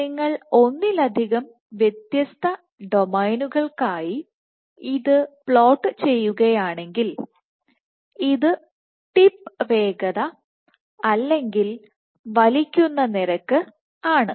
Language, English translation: Malayalam, So, if you plot it for multiple different domains, this is tip speed or pulling rate